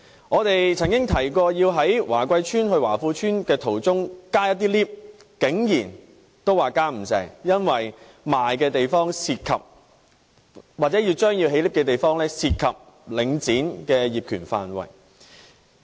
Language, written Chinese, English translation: Cantonese, 我們曾經提議在華貴邨去華富邨途中增建升降機，但竟然也不成功，因為出售了的地方或可增建升降機的地方涉及領展的業權範圍。, We once proposed that an elevator be installed on the way from Wah Kwai Estate to Wah Fu Estate but we could not bring even this to fruition because the area sold or the place where an elevator can be installed is under the ownership of Link REIT